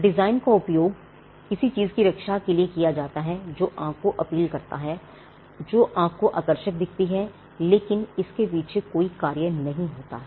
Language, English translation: Hindi, Designs are used to protect something that appeals to the eye something that is visually appealing to the eye but does not have a function behind it